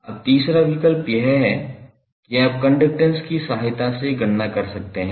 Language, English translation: Hindi, Now third option is that you can calculate with the help of conductance